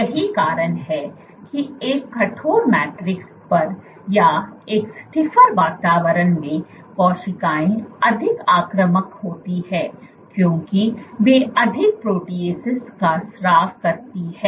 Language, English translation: Hindi, This is the reason why on a stiff matrix or in a stiffer environment the cells are more invasive because they secrete more proteases